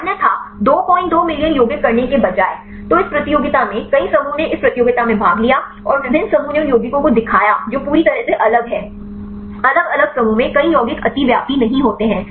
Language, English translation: Hindi, 2 million compounds; so in this competition; several groups they participated in this competition and different groups they showed the compounds which are totally different; not many compounds are overlapping in different groups